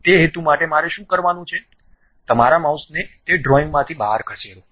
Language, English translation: Gujarati, For that purpose, what I have to do, move your mouse out of that drawing